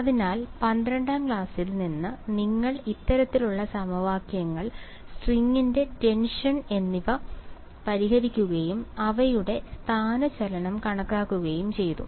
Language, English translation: Malayalam, So, back from you know class 12 you used to solve this kind of equations the tension on the string and calculate the displacement all of those things